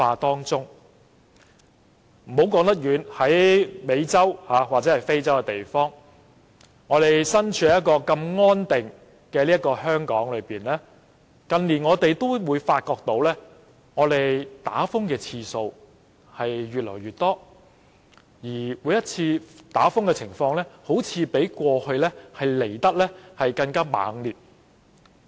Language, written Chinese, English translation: Cantonese, 不用說到美洲或非洲那麼遠，即使身處如此安定的香港，近年我們亦發覺颱風襲港的次數越來越多，而每次的情況似乎比過去更猛烈。, Needless to talk about such faraway places as America or Africa . Even in such a stable place like Hong Kong we found that typhoons had hit Hong Kong more frequently in recent years and each time the hit was fiercer than before